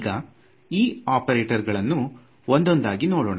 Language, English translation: Kannada, So, let us look at these operators now one by one ok